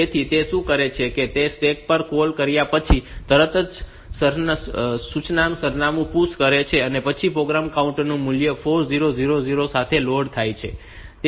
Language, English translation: Gujarati, So, what it does is that the PUSH the address of the instruction immediately following call on to the stack, and then the program counter value is loaded with 4000